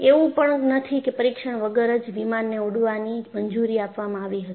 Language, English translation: Gujarati, So, it is not that without test the aircraft was allowed to fly